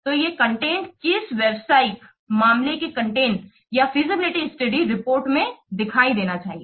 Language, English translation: Hindi, So these contents should appear in aATA business case content or in a feasibility study report